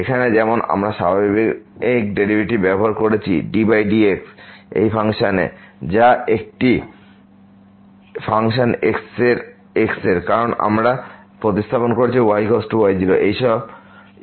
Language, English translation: Bengali, Like here we have use the usual derivative over of this function which is a function of because we have substituted is equal to naught, the constant value of this